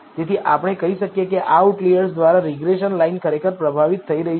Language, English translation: Gujarati, So, we can say that regression line is indeed getting affected by these outliers